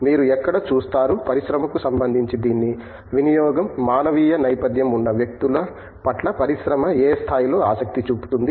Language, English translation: Telugu, Where do you see, itÕs utility in say with respect to industry, where in to what degree do you see industry interested in people with a humanities background